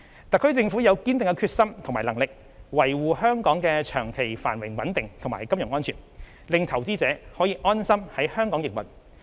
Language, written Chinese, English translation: Cantonese, 特區政府有堅定的決心與能力，維護香港的長期繁榮穩定及金融安全，令投資者可以安心在香港營運。, The HKSAR Government has the determination and capability to safeguard Hong Kongs long - term prosperity and stability as well as financial security for investors to continue operating in Hong Kong with peace of mind